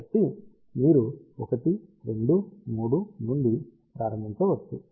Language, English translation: Telugu, So, you can start from 1 2 3 and so on